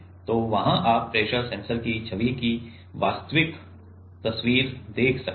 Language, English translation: Hindi, So, there you can see the actual photograph of the image of the pressure sensor